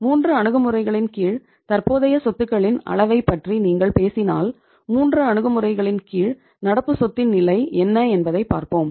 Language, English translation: Tamil, If you talk about the level of current assets under the 3 approaches let us see what is the level of current asset under 3 approaches